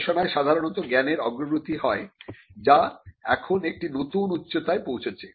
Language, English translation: Bengali, In research normally there is an advancement of knowledge, which now peaks a new mark or a new peak